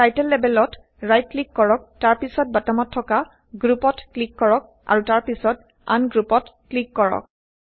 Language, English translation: Assamese, Right click on the Title label and then click on Group at the bottom then click on Ungroup